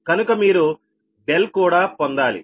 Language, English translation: Telugu, so therefore, therefore, you are